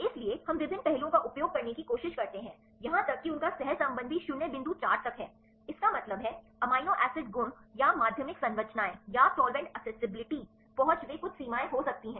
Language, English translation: Hindi, So, we try to use various aspects even their correlation is up to 0 point four; that means, amino acid properties or secondary structures or solvent accessibility they could that some limitations